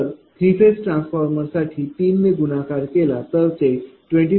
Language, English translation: Marathi, So, for 3 phase transformer if you multiply it will be 70